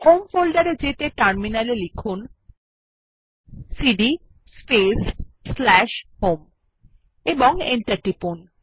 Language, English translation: Bengali, Goto home folder on the terminal by typing cd space / home and press Enter